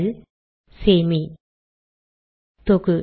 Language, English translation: Tamil, L, Save, Compile